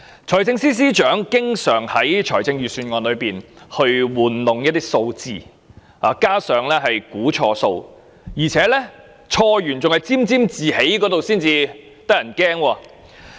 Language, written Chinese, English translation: Cantonese, 財政司司長經常在財政預算案中玩弄數字，又估算錯誤，還要沾沾自喜，這才嚇人。, The Financial Secretary often juggles with figures in the Budget and gives erroneous projections . But the most appalling thing is that he remains complacent about himself despite all this